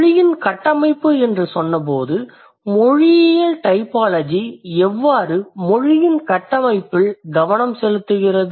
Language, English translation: Tamil, And when I said the structure of language, how linguistic typology focuses on structure of language